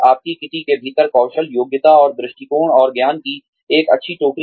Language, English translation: Hindi, A nice basket of skills, abilities, and attitudes, and knowledge, within your kitty